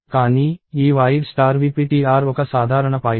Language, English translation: Telugu, But, this void star v ptr is a generic pointer